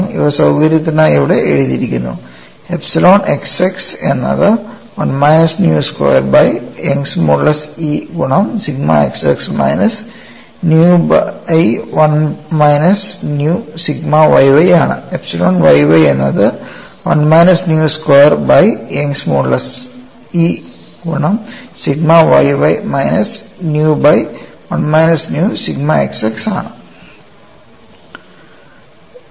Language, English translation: Malayalam, And you all know the stress strain relations, these are written here for convenience, epsilon x x equal to 1 minus nu squared divided by Young's modulus E multiplied by sigma x x minus nu by 1 minus nu sigma y y; epsilon y y equal to 1 minus nu square divided by Young's modulus multiplied by sigma y by minus nu times 1 minus nu sigma x x